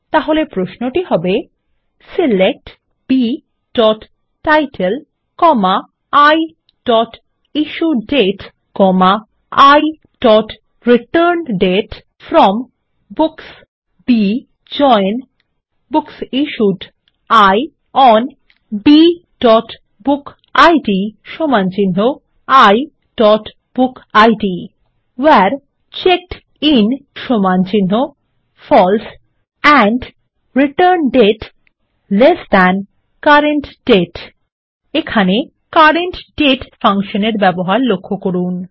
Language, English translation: Bengali, And the query is: SELECT B.Title, I.IssueDate, I.ReturnDate FROM Books B JOIN BooksIssued I ON B.bookid = I.BookId WHERE CheckedIn = FALSE and ReturnDate lt CURRENT DATE So, notice the use of the CURRENT DATE function